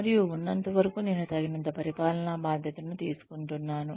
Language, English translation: Telugu, And, as long as, I am taking on, enough administrative responsibility